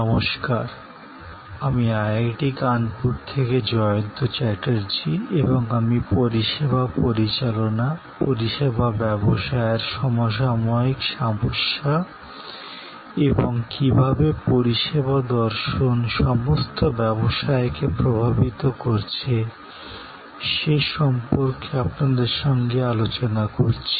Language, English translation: Bengali, Hello, I am Jayanta Chatterjee from IIT Kanpur and I am interacting with you on Managing Services, contemporary issues in the service business and how the service philosophy is influencing all businesses